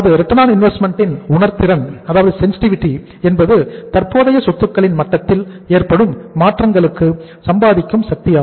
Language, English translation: Tamil, Sensitivity of ROI means that is the earning power to the changes in the level of current assets